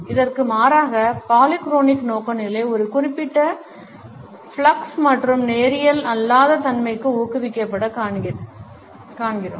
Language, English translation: Tamil, In contrast we find that polychronic orientation encourages a certain flux and non linearity